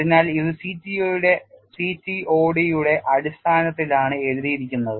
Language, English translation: Malayalam, So, it is written in terms of the CTOD